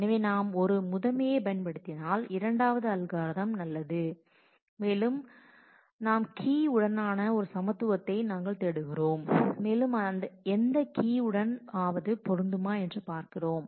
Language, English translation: Tamil, So, the second algorithm is good if we are using a primary index and we are looking for equality on a key that whether it matches certain key